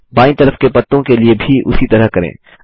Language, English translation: Hindi, Let us do the same for the leaves on the left